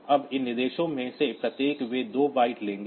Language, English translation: Hindi, Now, each of these instructions they will take 2 bytes